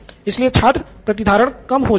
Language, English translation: Hindi, So student retention is low